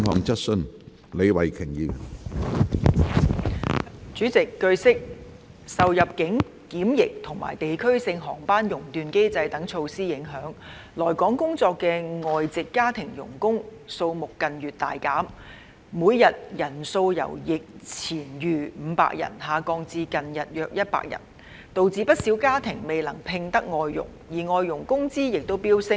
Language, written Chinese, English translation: Cantonese, 主席，據悉，受入境檢疫及地區性航班熔斷機制等措施的影響，來港工作的外籍家庭傭工數目近月大減，每日人數由疫前逾500人下降至近日約100人，導致不少家庭未能聘得外傭，而外傭工資亦飆升。, President it is learnt that due to the impacts of measures such as immigration quarantine and the place - specific flight suspension mechanism there has been a significant drop in the number of foreign domestic helpers FDHs coming to work in Hong Kong in recent months with the daily number declining from more than 500 before the epidemic to about 100 in recent days . As a result quite a number of families have been unable to hire FDHs and FDHs wages have surged